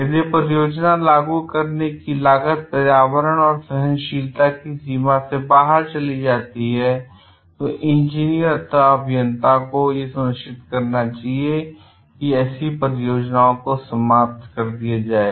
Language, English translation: Hindi, If the cost of implementation to go much beyond that what our environment can afford, engineer should make sure that such projects are scrapped